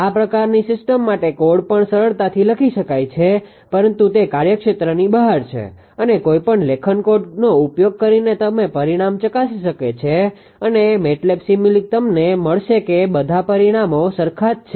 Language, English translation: Gujarati, Code also code also very easily can be written ah for such kind of system, but that is beyond the scope and one can verify the result using writing code and MATLAB simulink you will find all the results are identical right